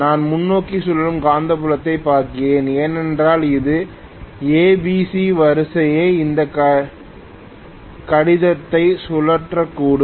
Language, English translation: Tamil, If I am looking at forward revolving magnetic field, it may be rotating at omega S this is corresponding to ABC phase sequence